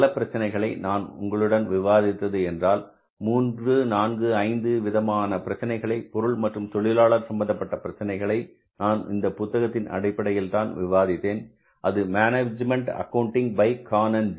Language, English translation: Tamil, Most of the problems which I discussed here is whatever the 3, 4, 5 problems we discussed with regard to material or labor, I have also referred to the same book that is the management accounting by Khan and Jain